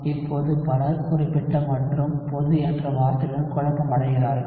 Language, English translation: Tamil, Now many people get confused with the term specific and general